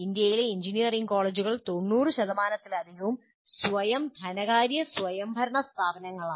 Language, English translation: Malayalam, And more than 90% of engineering colleges in India are self financing and non autonomous institutions